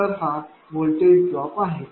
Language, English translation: Marathi, So, this is the voltage drop